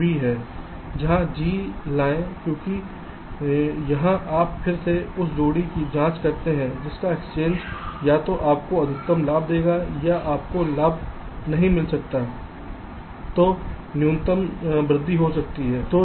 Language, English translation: Hindi, bring g here, b, because here you again check the pair whose exchange will either give you the maximum benefit or, if you cant get a benefit, the minimum increase in cost